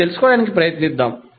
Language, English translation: Telugu, Let's try to find out